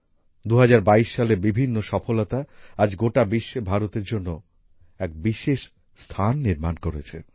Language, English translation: Bengali, The various successes of 2022, today, have created a special place for India all over the world